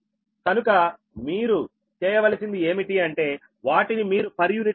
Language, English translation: Telugu, what you have to do is that you have to find out its per unit ah